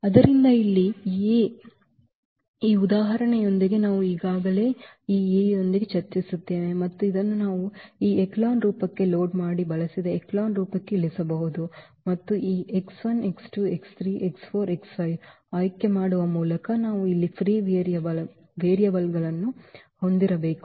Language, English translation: Kannada, So, here the A was this one this example we have already discussed before with this A and we can reduce it to the this echelon form loaded used echelon form and which tells us that these x 1 x 2 x 3 x 4 by choosing because, we have to we have free variables here